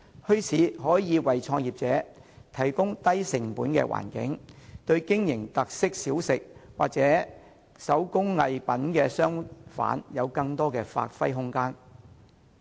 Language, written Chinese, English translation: Cantonese, 墟市可以為創業者提供低成本的環境，使經營特色小食或手工藝品的商販能夠得到更多的發揮空間。, Bazaars however can provide business starters with low - cost venues . Traders selling special snacks or handcrafts can have more room for development